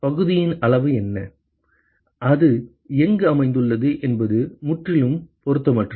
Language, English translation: Tamil, What is the size of the area and where it is located is completely irrelevant